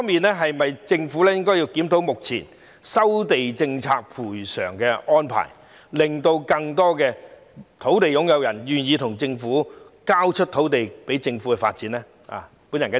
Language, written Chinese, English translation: Cantonese, 就此，政府是否應檢討目前收地政策的賠償安排，令更多土地擁有人願意交出土地予政府發展？, In this connection should the Government review the compensation arrangement under the existing land resumption policy so as to induce more land owners to surrender their sites to the Government for development?